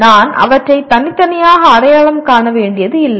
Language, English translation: Tamil, I do not have to separately identify them